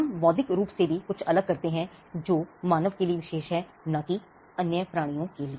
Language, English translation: Hindi, We also distinguish intellectual as something that is special to human beings and not to other beings